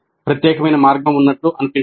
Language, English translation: Telugu, There does not seem to be any unique way